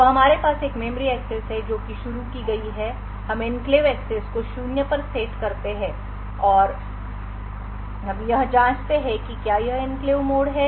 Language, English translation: Hindi, So, we have a memory access that is which is initiated we set the enclave access to zero we check whether it is an enclave mode